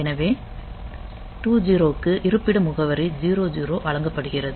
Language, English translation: Tamil, So, that is given the location address 0 0